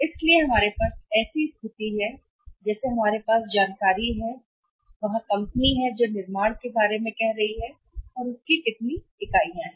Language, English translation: Hindi, So, we have situation like we have information here that there is company which is manufacturing about say how much units